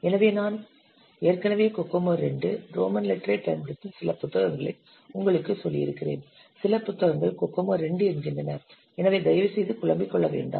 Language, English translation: Tamil, So as I have already told you, some books they are using this Kokomo 2, Roman letter, somewhere just this Kokomo 2 in this digit so please don't confuse